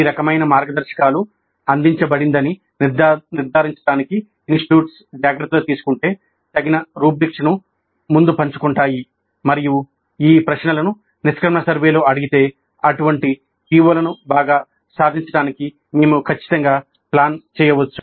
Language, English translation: Telugu, So, if the institutes take care to ensure that these kind of guidelines are provided, appropriate rubrics are shared up front and then these questions are asked in the exit survey, then we can definitely plan for better attainment of such POs